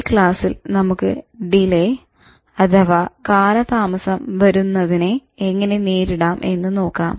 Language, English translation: Malayalam, And in this lesson in particular, let's see how you can handle delay